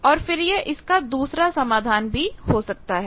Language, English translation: Hindi, So, these are the 2 solutions